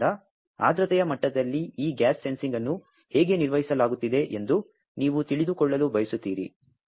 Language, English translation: Kannada, So, you want to know that at humidity level that how this gas sensing is being performed